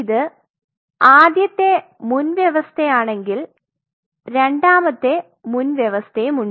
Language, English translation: Malayalam, So, this is if this is the first prerequisite there is a second prerequisite